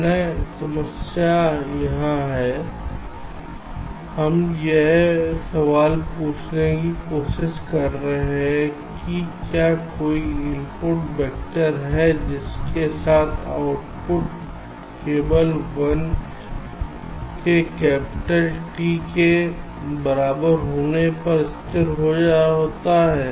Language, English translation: Hindi, we are trying to ask this question: is there any input vector for which the output gets stable only after t equal to capital t, like here